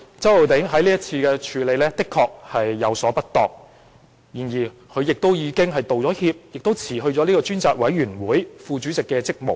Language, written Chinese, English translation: Cantonese, 周浩鼎議員在這事件上確有處理不當之處，但他已就此道歉並辭去專責委員會副主席的職務。, Mr Holden CHOW has undoubtedly handled the matter improperly but he has already apologized and resigned from the position of Deputy Chairman of the Select Committee